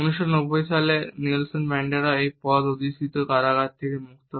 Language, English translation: Bengali, In 1990 Nelson Mandela walked free of prison holding this position